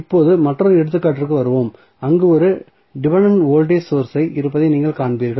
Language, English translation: Tamil, So, now, let us come to the another example, where you will see there is 1 dependent voltage source available